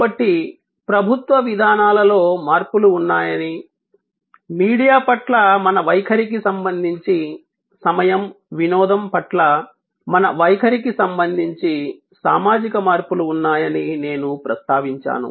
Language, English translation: Telugu, So, I mention that there are changes in government policies, there are social changes with respect to our attitude towards media, with respect to our attitude towards time entertainment